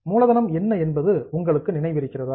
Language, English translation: Tamil, Do you remember what is the capital